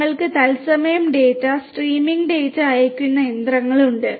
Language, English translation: Malayalam, We have machines sending data, streaming data in real time